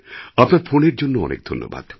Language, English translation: Bengali, Thank you very much for your phone call